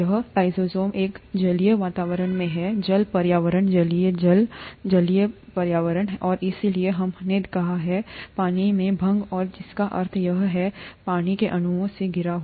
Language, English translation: Hindi, This lysozyme is in an aqueous environment, water environment, aqueous is water, aqueous environment and it therefore it is a let us say, dissolved in water and which means that is surrounded by water molecules